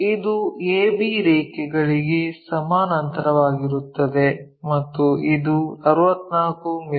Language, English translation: Kannada, So, this will be parallel to a b line and this will be our 64 units